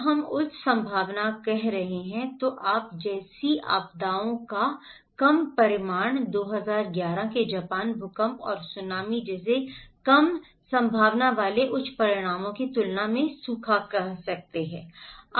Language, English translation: Hindi, When we are saying high probability, low consequence of disasters like you can say the drought compared to low probability high consequences like the 2011 Japan earthquake and Tsunami